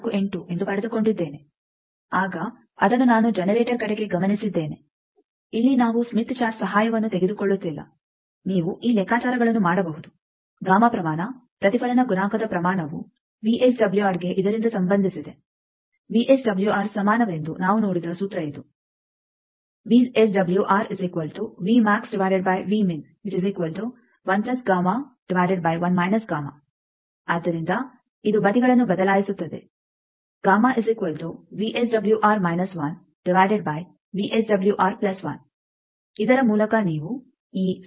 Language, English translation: Kannada, 48, I have noted it towards generator then here we are not taking the help of Smith Chart, you can do these calculations that, gamma magnitude reflection coefficient magnitude is related to VSWR by this, this is the formula that we have seen VSWR is equal to 1 plus gamma by 1 minus gamma